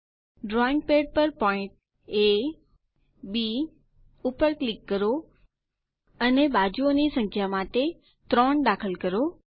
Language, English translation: Gujarati, Click on drawing pad points A ,B, and enter 3 for the number of sides